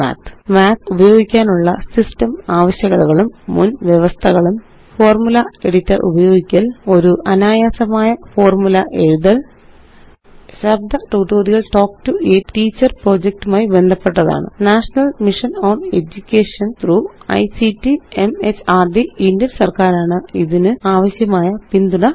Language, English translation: Malayalam, System requirements and Prerequisites for using Math Using the Formula Editor Writing a simple formula Spoken Tutorial Project is a part of the Talk to a Teacher project, supported by the National Mission on Education through ICT, MHRD, Government of India